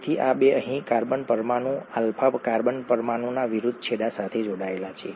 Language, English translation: Gujarati, So, these two are attached with the opposite ends of the carbon molecule, the alpha carbon molecule, here